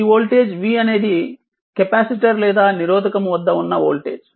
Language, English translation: Telugu, This v is across the same this capacitor as well as the resistor